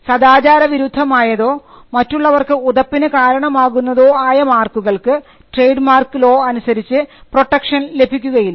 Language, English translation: Malayalam, Marks that are immoral and scandalous will not be offered protection under the trademark law